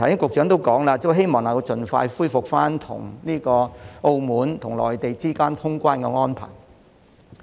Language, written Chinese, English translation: Cantonese, 局長剛才表示，希望能盡快恢復與澳門和內地之間的通關安排。, The Secretary has just expressed the hope that arrangements for reopening the boundary control points with Macao and the Mainland could be resumed as soon as possible